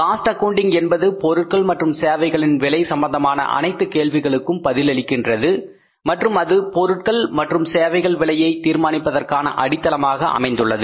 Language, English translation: Tamil, Cost accounting answers all kind of the questions which are with regard to the costing of the production services and it certainly becomes the basis of pricing the products and services